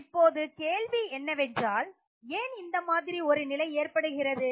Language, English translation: Tamil, So now the question is why do you observe this trend